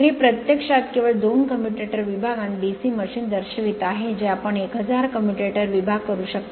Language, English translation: Marathi, So, this is actually show only two commutator segments and DC machine you can 1000 commutator segment